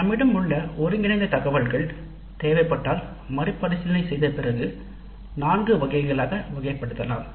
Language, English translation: Tamil, Then the consolidated data that we have can now after rewording if necessary can now be classified into four categories